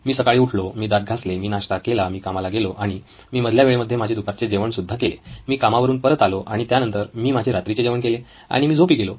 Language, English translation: Marathi, I woke up in the morning, I brush my teeth, I had my breakfast, I went to work, I came back from work and I had lunch in between, I had dinner after I came back from work and I went to bed